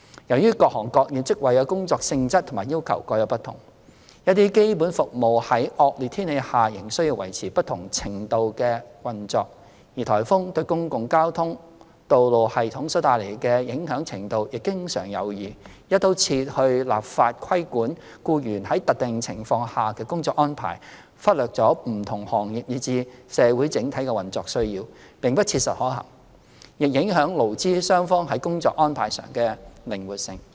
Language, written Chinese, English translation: Cantonese, 由於各行各業職位的工作性質和要求各有不同，一些基本服務在惡劣天氣下仍需維持不同程度的運作，而颱風對公共交通和道路系統所帶來的影響程度亦經常有異，"一刀切"地立法規管僱員在特定情況下的工作安排，忽略了不同行業以至社會整體的運作需要，並不切實可行，亦影響勞資雙方在工作安排上的靈活性。, Certain essential services need to maintain different levels of operation even under inclement weather conditions . The extent of impact caused by typhoons to public transport and road systems may differ . It is not practical to regulate work arrangements of employees under specific circumstances through across - the - board legislation as it will overlook the operational needs of different industries and the community as a whole